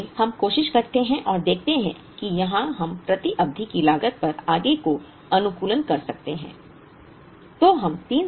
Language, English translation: Hindi, So, we try and see if we can optimize further on the per period cost